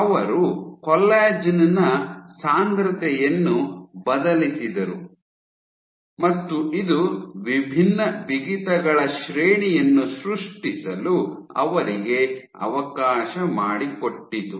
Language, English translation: Kannada, So, she varied the concentration of collagen and this allowed her to generate a range of different stiffness’s